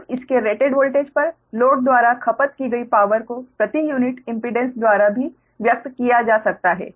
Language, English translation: Hindi, right now the power consumed by the load, that is rated voltage, can also be expressed by per unit impedance